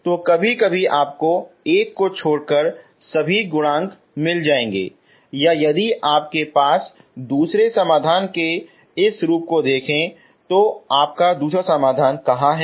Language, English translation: Hindi, So sometimes you will get all the coefficients except one or if you look at this form of the second solution, okay, where is your second solution